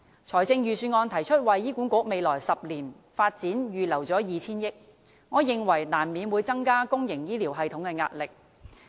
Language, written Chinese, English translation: Cantonese, 財政預算案提出為醫管局未來10年發展預留 2,000 億元，我認為難免會增加公營醫療系統的壓力。, The Budget puts forth earmarking 200 billion for HAs development in the next decade and to me this will inevitably add to the pressure of the public health care system